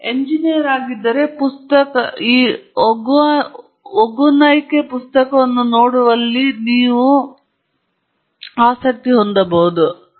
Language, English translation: Kannada, If you are an engineer, you may be really interested in looking at the book